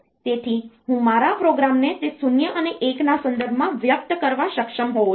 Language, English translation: Gujarati, So, I should be able to express my program in terms of those zeros and ones